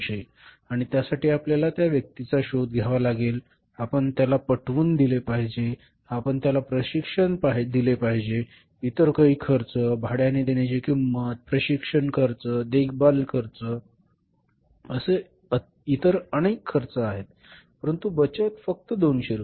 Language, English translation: Marathi, Only 200 rupees, 100 or 200 rupees and for that we have to look for the person we have to convince him, we have to train him, we have to say incur some other expenses hiring costs, training cost, retaining cost so many other costs are there but the saving is just 200 rupees so we will not go for that kind of the process